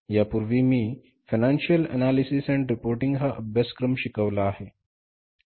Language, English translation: Marathi, Earlier I have offered a course that is financial analysis and reporting